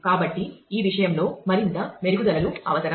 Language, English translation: Telugu, So, further refinements will be required in this regard